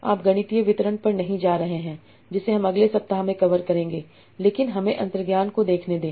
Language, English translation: Hindi, We will not go into the mathematical details that we will cover in the next week, but let us see the intuition